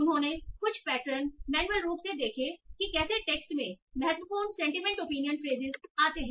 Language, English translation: Hindi, So they took, they made some patterns by manually seeing how the important sentiment opinion phrases occur in text